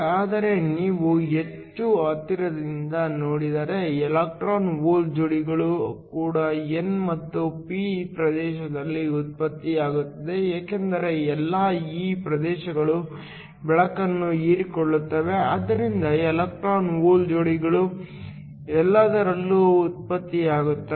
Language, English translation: Kannada, But if you also look more closely electron hole pairs are also generated within the n and the p regions because all of these regions absorb the light so electron hole pairs are generated in all of them